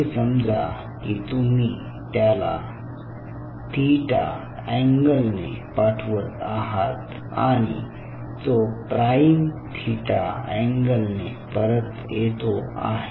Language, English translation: Marathi, so say, for example, you are sending it an angle of, say, theta and it is coming back at an angle of theta prime